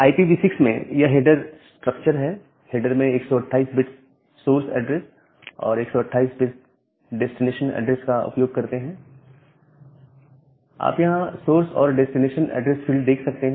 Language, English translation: Hindi, So, in a case of IPv6, this is the header structure, in the header we use 128 bit source address and 128 bit destination address; the source and the destination address field